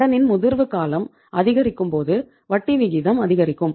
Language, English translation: Tamil, Longer the maturity period, higher is the interest rate